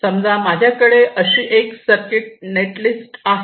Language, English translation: Marathi, suppose i have a circuit, netlist, like this